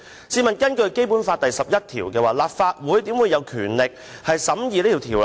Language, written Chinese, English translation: Cantonese, 試問根據《基本法》第十一條，立法會豈會有權力審議《條例草案》？, Does the Legislative Council have the power to scrutinize the Bill in accordance with Article 11 of the Basic Law?